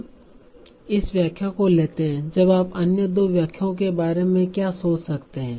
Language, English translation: Hindi, Now what is the other two interpretations you can think of